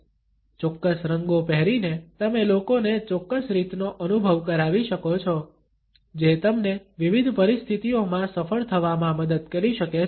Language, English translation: Gujarati, By wearing certain colors you can make people feel a certain way which could help you succeed in a variety of different situations